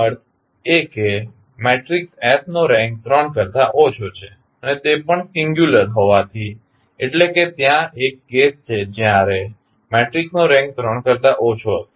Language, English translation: Gujarati, That means that the rank of matrix S is less than 3 and since it is also singular means there will be definitely a case when the rank of the matrix will be less than 3